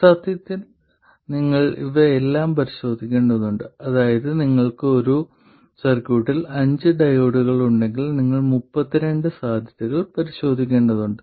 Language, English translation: Malayalam, That is if you have five diodes in a circuit, you have to check for 32 possibilities